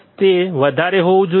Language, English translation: Gujarati, It should be high